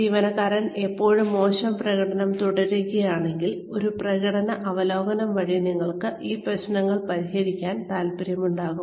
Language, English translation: Malayalam, If the employee, still continues to perform poorly, then you may want to address these issues, via a performance review